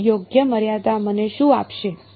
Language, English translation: Gujarati, So, right limit is going to give me what